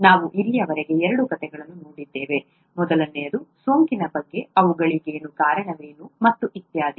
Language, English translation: Kannada, We have seen two stories so far, the first one was about infection, what causes them and so on